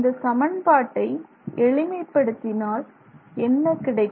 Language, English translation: Tamil, So, once you do that you get this equation